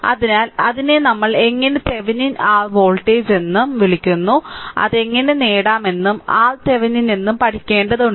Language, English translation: Malayalam, So, that is your what you call the Thevenin your voltage that that you have to learn how to obtain and R Thevenin